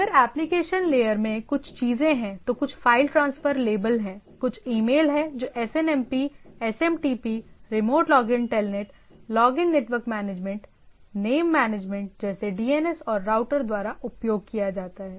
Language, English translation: Hindi, Now, same thing this if application layer there is a variety of things some of the file transfer label things, some are email type of thing that use SNM SMTP, remote login Telnet, a login network management, name there are name management like DNS, and used by routers